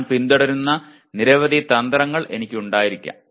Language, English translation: Malayalam, I may have several strategies that I follow